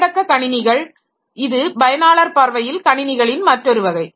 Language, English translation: Tamil, Handheld computers, so this is another class of user view of computers